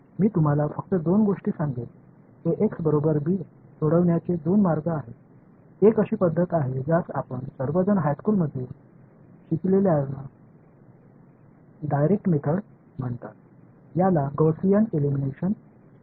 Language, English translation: Marathi, I will just roughly tell you two things there are two ways of solving ax is equal to b; one is what is called direct method which you all have studied in high school it is called Gaussian elimination